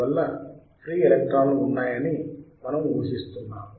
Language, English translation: Telugu, And thus, we are assuming that there are free electrons